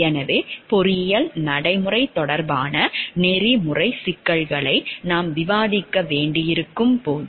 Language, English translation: Tamil, So, when we are have to discuss about the ethical issues related to engineering practice